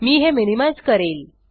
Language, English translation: Marathi, I will minimize this